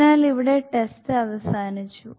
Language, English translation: Malayalam, So here the test is ended